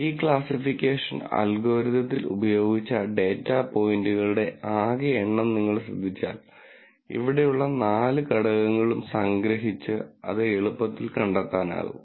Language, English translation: Malayalam, So, if you notice the total number of data points that were used in this classification algorithm can be easily found out by summing all the four elements here